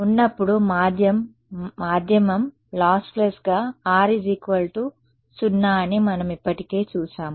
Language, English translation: Telugu, When the medium was lossless, we saw that R was equal to 0 we have already seen that